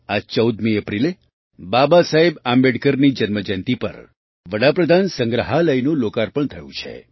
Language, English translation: Gujarati, On this 14th April, the birth anniversary of Babasaheb Ambedkar, the Pradhanmantri Sangrahalaya was dedicated to the nation